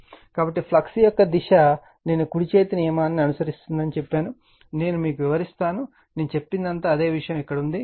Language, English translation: Telugu, So, the direction of flux I told you the right hand rule, I will just explain you, you go through it whatever I said, same thing it everything it is here